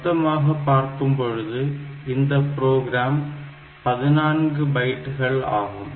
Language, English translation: Tamil, So, total size of this program is 14 bytes fine